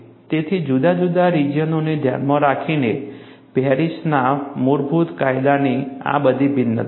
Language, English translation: Gujarati, So, these are all the variations of basic Paris law, to account for different regions